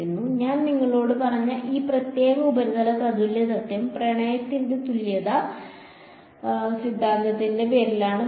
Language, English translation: Malayalam, By the way this particular surface equivalence principle that I told you goes by the name of Love’s equivalence theorem